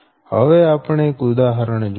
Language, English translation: Gujarati, now take one example